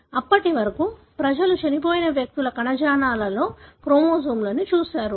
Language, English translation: Telugu, Until then people have looked at chromosomes in tissues of dead individuals